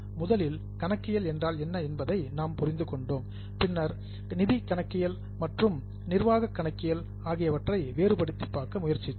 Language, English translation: Tamil, First we understood what is accounting, then we have tried to distinguish between financial accounting and management accounting